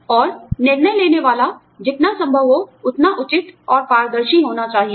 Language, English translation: Hindi, And, the decision making, should be as fair and transparent, as possible